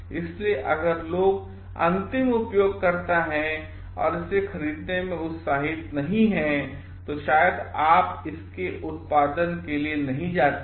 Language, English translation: Hindi, So, people if is the end users are not interested in a maybe you do not go on for producing it